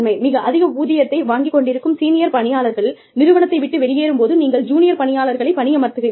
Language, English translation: Tamil, But, when senior employees, who are drawing a very high salary, leave the organization, you hire junior employees